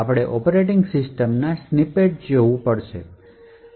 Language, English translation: Gujarati, we have to look at snippets of the operating system